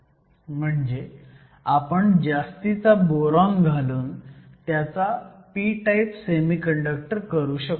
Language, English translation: Marathi, So, it could add excess of boron and then make it a p type semiconductor